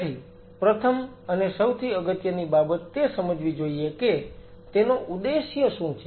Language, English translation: Gujarati, So, first and foremost thing what has to be understood is what is the objective